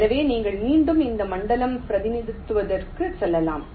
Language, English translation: Tamil, so you can just go back to that zone representation between